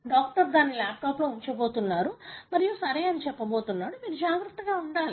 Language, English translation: Telugu, The doctor is going to put it in the laptop and going to say ok, you guy have to be careful